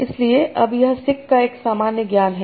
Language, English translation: Hindi, So now this is one common sense of sick